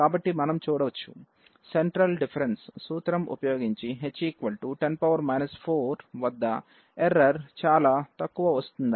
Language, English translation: Telugu, So as we can see that the errors using central difference formula are for h equal to 10 to the power minus 4 are fairly small